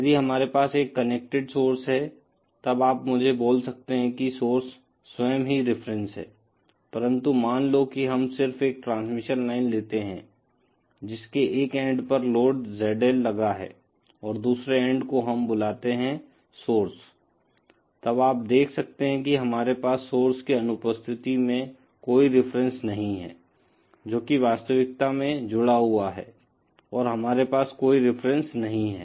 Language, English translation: Hindi, But there suppose we just take a transmission line with a load ZL connected to one end and the other end, we call it the source end, then you see we do not have any reference in the absence of any source that is really connected, we do not have any reference